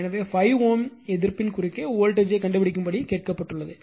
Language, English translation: Tamil, So, it has you have been asked to find out the voltage across the 5 ohm resistance right